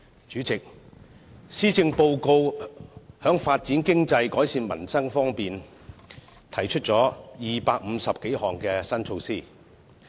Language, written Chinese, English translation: Cantonese, 主席，施政報告在發展經濟、改善民生方面，提出了250多項新措施。, President over 250 new initiatives are announced in the Policy Address to develop the economy and improve peoples livelihood